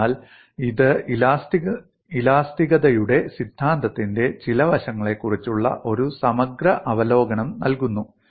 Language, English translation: Malayalam, So this provides you a comprehensive over view, on certain aspect of theory of elasticity